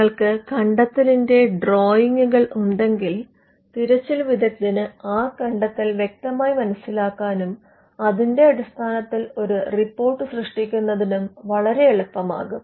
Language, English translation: Malayalam, If you have drawings of the invention, then it becomes much easier for the person to understand the invention and to generate a report based on that